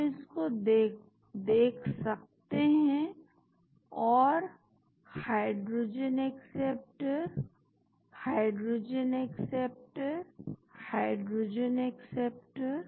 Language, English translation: Hindi, we can see this and the hydrogen acceptor, hydrogen acceptor, hydrogen acceptor